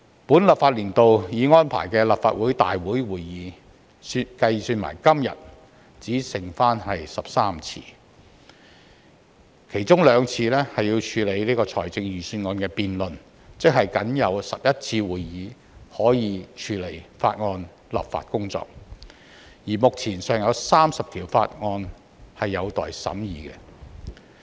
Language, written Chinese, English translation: Cantonese, 本立法年度已安排的立法會會議，包括今天，只剩下13次，其中兩次要處理財政預算案辯論，即僅有11次會議可以處理法案立法工作，而目前尚有30項法案有待審議。, In this legislative session only 13 scheduled Council meetings including this one today are left and two of them will be required to deal with the Budget debate . That means there are only 11 meetings to deal with the legislative work on the bills and for the moment 30 bills are still pending for scrutiny